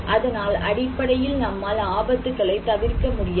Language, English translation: Tamil, So, we cannot avoid hazard basically